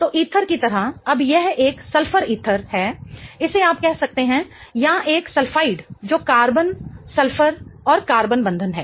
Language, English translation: Hindi, Now, this is a sulfur ether you can call it or a sulfide which is carbon sulfur and carbon bond in it